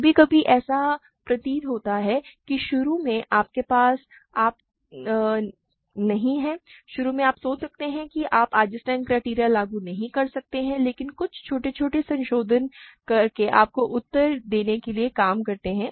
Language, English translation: Hindi, Sometimes, it might appear like initially you do not have you initially you might think that you cannot apply Eisenstein criterion, but some small modification works to give you the answer